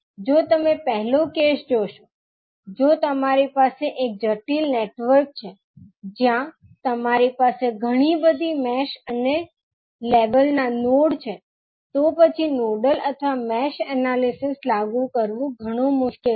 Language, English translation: Gujarati, So, if you see the first case you, if you have a complex network where you have multiple mesh and nodes of level, then applying the node nodal or mesh analysis would be a little bit cumbersome